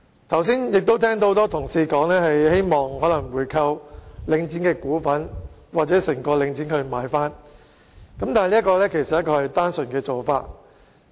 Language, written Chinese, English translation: Cantonese, 剛才我亦聽到很多同事表示，希望購回領展一部分股份或全數購回整個領展，但這其實是一種單純的做法。, Just now I heard many colleagues express their hope of buying back some of the shares of Link REIT or the entire Link REIT which is actually a very simple idea